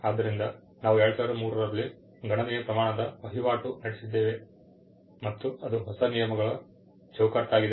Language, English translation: Kannada, So, we had a substantial turnover in 2003, where new rules were frame